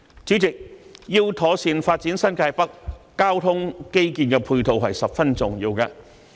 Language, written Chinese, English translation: Cantonese, 主席，要妥善發展新界北，交通基建的配套十分重要。, President to properly develop New Territories North the provision of ancillary transport infrastructure is very important